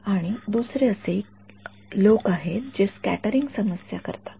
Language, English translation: Marathi, And the second one are the people who do scattering problems